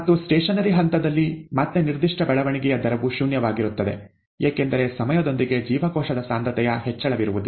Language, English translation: Kannada, And, in the stationary phase, again, the specific growth rate is zero, because there is no increase in cell concentration with time